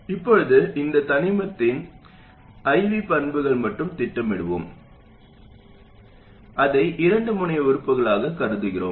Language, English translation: Tamil, Now let's just plot the IVE characteristic of this element, thinking of it as a two terminal element